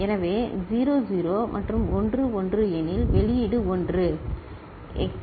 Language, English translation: Tamil, So, if 0 0 and 1 1, then the output will be 1